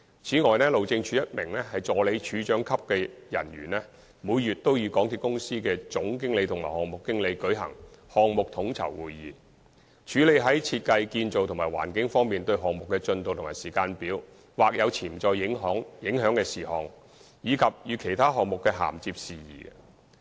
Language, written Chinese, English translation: Cantonese, 此外，路政署一名助理署長級的人員，每月都與港鐵公司的總經理及項目經理舉行項目統籌會議，處理在設計、建造及環境等方面，對於項目的進度及時間表或有潛在影響的事項，以及與其他項目的銜接事宜。, Moreover an HyD official at Assistant Director level also holds a Project Coordination Meeting with the General Managers and Project Managers of MTRCL every month . At a monthly meeting they will handle various design construction and environmental issues having potential impact on the progress schedules of the SCL project and also other issues concerning its convergence with other projects